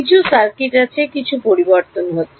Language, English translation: Bengali, There is some circuit, there is some switching happening